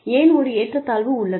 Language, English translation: Tamil, Why is there, a disparity